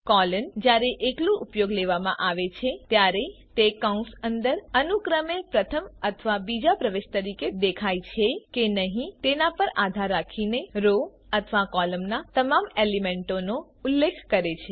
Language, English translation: Gujarati, Colon, when used alone, refers to all the elements of row or column, depending upon whether it appears as a first or a second entry respectively inside the bracket